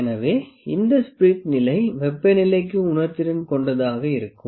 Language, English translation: Tamil, So, this spirit level is sensitive to the temperature